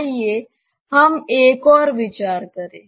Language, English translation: Hindi, Let us consider another one